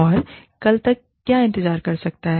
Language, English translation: Hindi, And, what can wait, till tomorrow